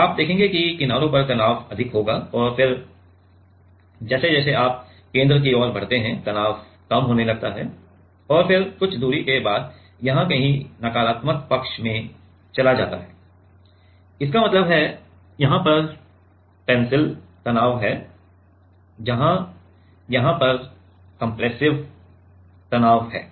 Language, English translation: Hindi, So, you will see that the at the edges the stress will be high, and then as you move towards the center stress starts decreasing and then after certain distance somewhere here it will go to the negative side; that means, here it is tensile stress where here it is compressive stress right